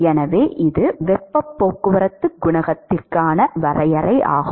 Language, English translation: Tamil, So, that is the definition for heat transport coefficient